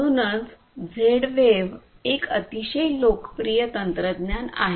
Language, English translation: Marathi, So, that is why Z wave is a very popular technology